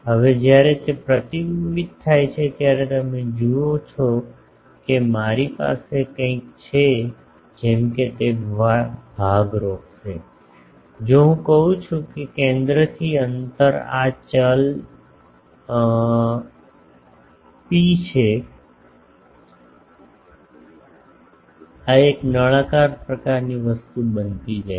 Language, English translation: Gujarati, Now, while it is reflected you see I have something like it will occupy the portion, if I call that the distance from the centre these variable is rho this becomes, a cylindrical type of thing